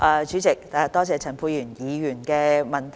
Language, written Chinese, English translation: Cantonese, 主席，多謝陳沛然議員的補充質詢。, President I thank Dr Pierre CHAN for his supplementary question